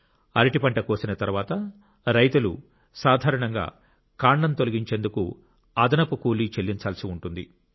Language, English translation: Telugu, After the harvesting of banana, the farmers usually had to spend a separate sum to dispose of its stem